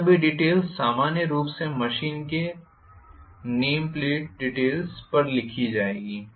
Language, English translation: Hindi, All these things will be written on the name plate details of the machine normally, right